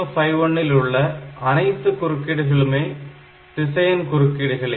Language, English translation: Tamil, Here all the interrupts are vectored interrupts